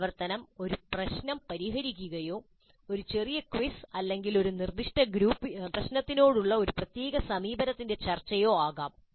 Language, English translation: Malayalam, This activity could be solving a problem or a small quiz or discussion of a particular approach to a specific problem